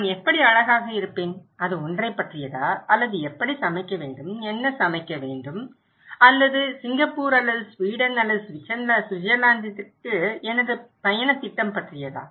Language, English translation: Tamil, How I would look good, is it about that one or is it about how to cook, what to cook and or my travel plan to Singapore or to Sweden or Switzerland